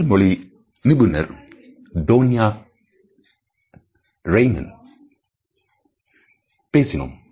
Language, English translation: Tamil, We spoke to the body language expert Tonya Reiman